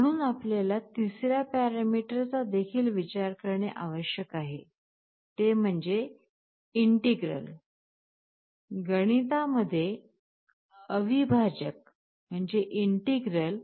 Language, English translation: Marathi, So, you also need to consider a third parameter that is the integral